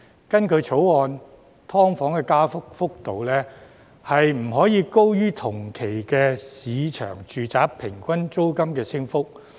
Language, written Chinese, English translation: Cantonese, 根據《條例草案》，"劏房"的加幅幅度不可以高於同期市場住宅平均租金的升幅。, According to the Bill the rate of rent increase for SDUs shall not be higher than the average rate of rent increase for residential premises in the market over the same period